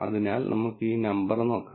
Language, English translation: Malayalam, So, let us look at this number